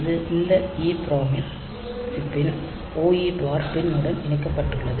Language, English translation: Tamil, So, it is connected to the OE bar pin of this EPROM chip